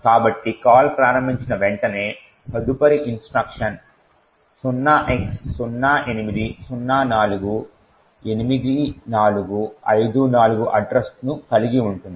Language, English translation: Telugu, So, soon after the call gets invoked the next instruction has the address 08048454